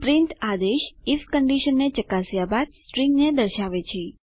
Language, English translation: Gujarati, print command displays the string after checking the if condition